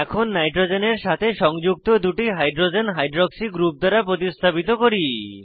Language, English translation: Bengali, Next, we will substitute two hydrogens attached to nitrogen with hydroxy group